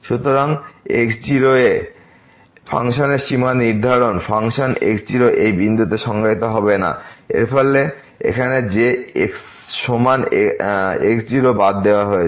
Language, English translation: Bengali, So, define the limit of function at point naught, the function may not be defined at this point naught and therefore, here that is equal to naught is excluded